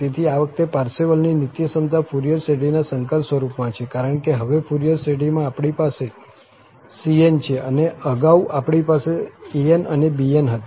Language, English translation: Gujarati, So, this Parseval's identity is in the complex form of Fourier series, because now in the Fourier series, we have cn, earlier we had an's and bn's